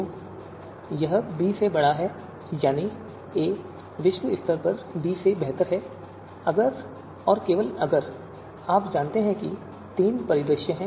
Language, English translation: Hindi, So this a greater than b, that is a is globally better than b if and only if you know these three three scenarios are there